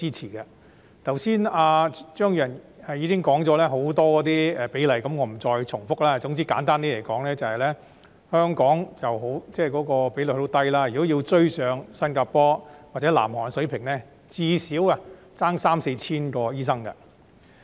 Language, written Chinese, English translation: Cantonese, 張宇人議員剛才已經談及很多比例問題，我不再重複，總之簡單而言，香港的醫生比率十分低，如果要追上新加坡或南韓水平，最少差三四千名醫生。, Since Mr Tommy CHEUNG has already talked about many issues relating to the ratio just now I am not going to repeat them . In a nutshell the ratio of doctors in Hong Kong is very low . To catch up with the level in Singapore or South Korea a shortfall of at least 3 000 to 4 000 doctors will have to be met